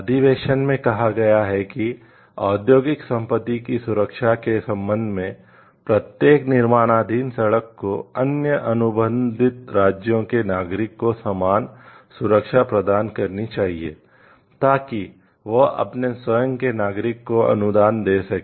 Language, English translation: Hindi, The convention provides that as regards the protection of industrial property, each constructing street must grant the same protection to nationals of other contracting states, that it grants to it is own nationals